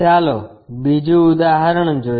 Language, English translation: Gujarati, Let us take another example